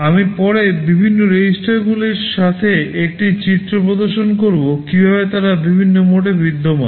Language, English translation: Bengali, I shall show a picture later with the different registers, how they exist in different modes